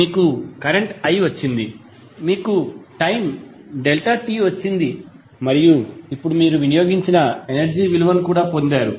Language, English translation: Telugu, You have got current i you have got time delta t and now you have also got the value of energy which has been consumed